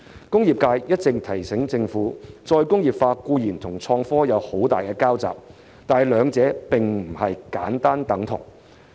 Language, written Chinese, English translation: Cantonese, 工業界一直提醒政府，再工業化固然與創科有很大的交集，但兩者並非簡單等同。, The industrial sector has been reminding the Government that while re - industrialization as well as innovation and technology are largely intertwined they are simply not the same